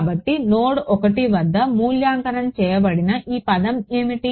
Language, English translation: Telugu, So, what is this term evaluated at node 1 right